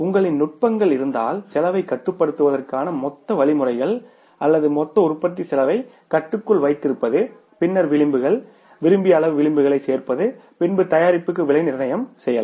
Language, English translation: Tamil, If you have the, say that the techniques, the ways, the means to control the costs or keep your total cost of production under control, then adding up the margin, desired amount of the margin into that cost, you can price the product